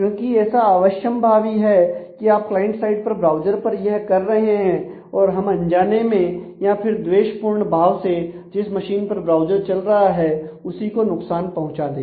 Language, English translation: Hindi, Because it is quite possible that if you are doing things on the client side that is on the browser then we might also inadvertently or by a malicious intact actually make damages to the machine on which the browser is running